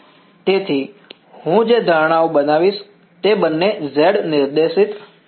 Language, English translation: Gujarati, So, the assumptions I will make are both are z directed